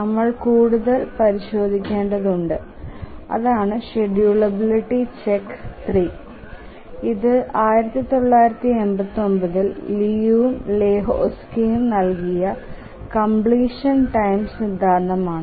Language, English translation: Malayalam, And we need to check further that is the schedulability check 3 and the name of the result is completion time theorem given by Liu and Lahutski in 1987